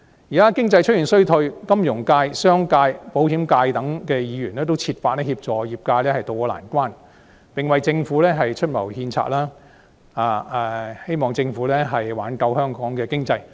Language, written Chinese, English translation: Cantonese, 現時經濟出現衰退，金融界、商界及保險界等的議員均設法協助業界渡過難關，為政府出謀獻策，協助政府挽救香港的經濟。, In response to the risk of economic recession currently in sight Members representing such sectors as finance business and insurance have been striving to tide the industries over offering advice and suggestions to the Government and assist the Government in rescuing the Hong Kong economy